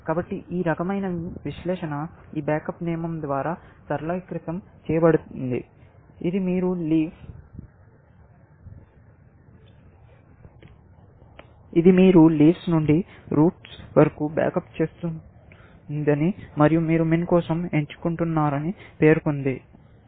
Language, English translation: Telugu, So, this kind of analysis is simplified by this back up rule, which says that you back up from leaf to the routes, and for min, you choose